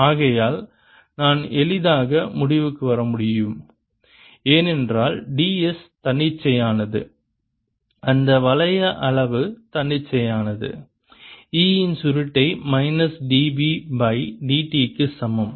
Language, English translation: Tamil, for i can easily conclude, because d s arbitrary, the loop size arbitrary, that curl of p is equal to minus d b by d t